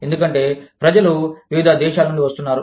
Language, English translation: Telugu, Because, people are coming from, different countries